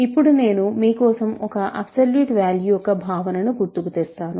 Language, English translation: Telugu, So, now I am going to recall for you the notion of an absolute value